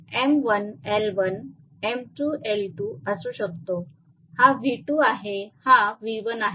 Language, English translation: Marathi, So, may be M1 L1 M2 L2 this is V2 this is V1 right